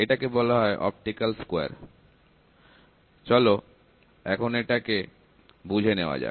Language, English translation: Bengali, This is called the optical square, these are called the optical square, let us see the optical square